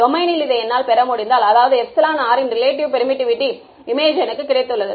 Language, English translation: Tamil, If I am able to get this in this domain; that means, I have got an image of epsilon r relative permittivity